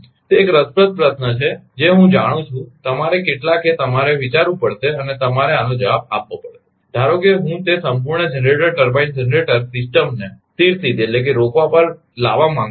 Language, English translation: Gujarati, It is an interesting question I know some you have to you have to think and you have to answer this that suppose I want to bring that whole generated turbine generated system to a standstill right